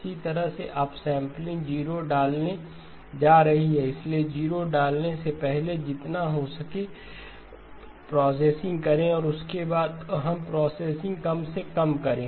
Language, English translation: Hindi, Same way up sampling is going to insert zeros, so do your processing as much as possible before you insert the zeros and then minimize the processing after we do